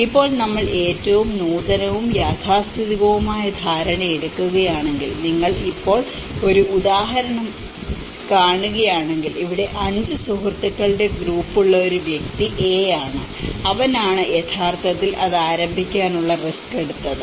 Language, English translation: Malayalam, Now, if we take the perception of the most innovative and the conservative, if you see an example now, here a person A who have a group of 5 friends and he is the one who have actually taken the risk of starting it